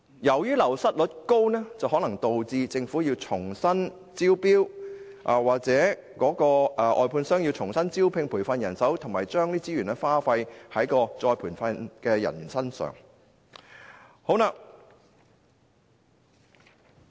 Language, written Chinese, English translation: Cantonese, 由於流失率高，可能導致政府須重新招標，而外判商或須重新招聘和培訓人手，亦須再次耗費資源來培訓員工。, Given a high wastage rate the Government may have to conduct a tender exercise afresh and the outsourced service contractor may have to recruit manpower and train the recruits all over again . It will have to expend resources again on staff training